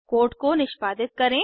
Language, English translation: Hindi, Lets execute this code